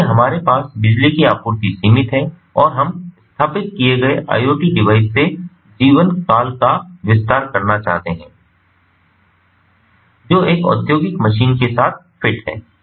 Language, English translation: Hindi, so we have limited power supply and we want to extend the lifetime of the iot device that is installed that is fitted with an industrial machine